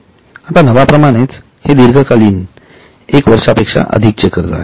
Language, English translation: Marathi, Now as the name suggests it is for a long term more than one year a borrowing